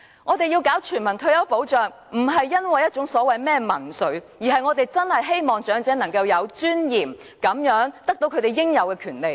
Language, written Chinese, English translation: Cantonese, 我們要實施全民退休保障，不是因為所謂的民粹主義，而是我們真的希望長者能夠活得有尊嚴，得到他們應有的權利。, Universal retirement protection needs to be implemented not because of the so - called populism but because we truly hope that elderly persons can live with dignity and enjoy their legitimate rights